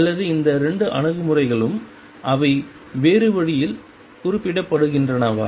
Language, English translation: Tamil, Or are these 2 approaches the same they are just represented in a different way